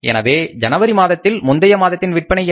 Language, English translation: Tamil, So in the month of January, what was the previous month sales